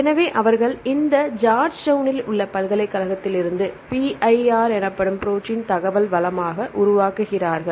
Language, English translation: Tamil, So, then they develop this into the protein information resource called PIR in Georgetown University